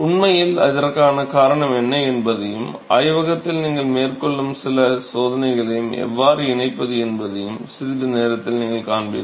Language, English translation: Tamil, In fact, you will see in a short while what is the rationale for that and how you can connect with some off the experiments that you are actually performed in the lab